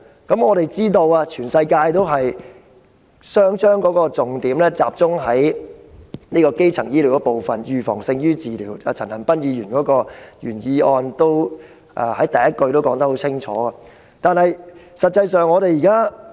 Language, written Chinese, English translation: Cantonese, 我們皆知道，世界各地皆把重點集中在基層醫療上，因為預防勝於治療，正如陳恒鑌議員的原議案第一句已清楚指出這點。, As we all know various places of the world have all put the focus on primary healthcare because prevention is better than cure just as aptly pointed out by Mr CHAN Han - pan in the first line of his original motion